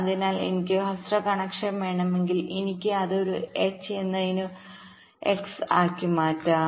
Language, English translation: Malayalam, so so if i want shorter connection, i can make it as an x instead of a h